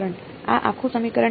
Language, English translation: Gujarati, This whole equation ok